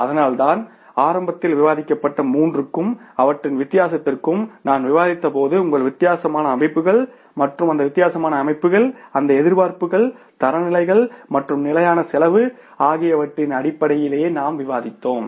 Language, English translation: Tamil, That is why I began, I discussed in the beginning, the difference between the three and that difference when we discussed was about the say your different compositions and these different compositions we discussed in terms of that expectations, standards and the standard costing